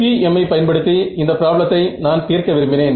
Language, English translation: Tamil, Now, if I wanted to solve this problem using FEM, how would I do it